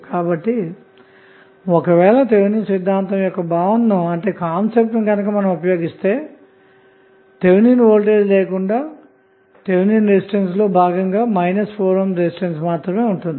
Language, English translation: Telugu, So, if you use that concept of Thevenin theorem which we discussed we will have only 1 minus 4 ohm resistance as part of the Thevenin resistance with no Thevenin voltage